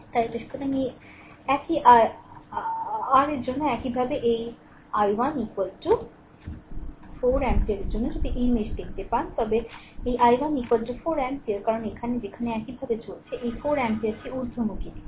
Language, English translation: Bengali, So, for this one your similarly for your this i 1 is equal to 4 ampere, if you see this mesh one this i 1 is equal to 4 ampere because here where you are moving like this so, this 4 ampere in this upward direction